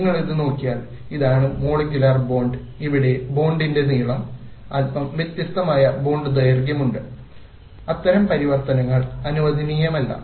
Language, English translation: Malayalam, If you look at this, this is the molecule of the bond length here and here is a slightly different bond length